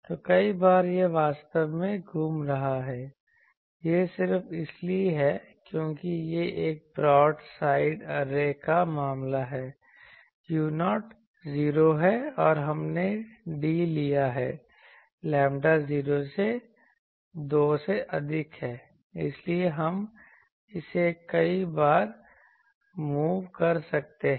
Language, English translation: Hindi, So, many times it is revolving actually, it is just because it is a case of a broad side array u 0 is 0 and we have taken d is greater than lambda 0 by 2 so, we can move it so many times